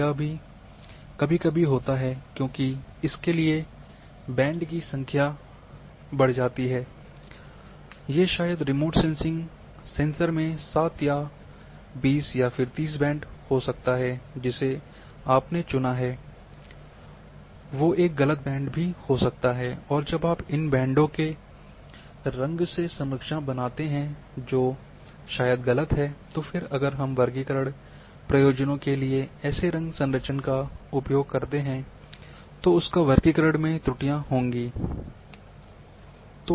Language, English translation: Hindi, This is also sometimes happens because a for this number of bands are increasing maybe having say seven bands or twenty bands or 30 bands of a remote sensing sensor you are choosing a band might be wrong and I when, you make the colour composites of these bands that might be wrong and then if we use such colour composites for classification purposes then once the a wrong combinations have been chosen your classification is bound to be wrong and would have errors